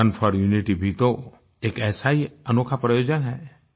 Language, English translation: Hindi, 'Run for Unity' is also one such unique provision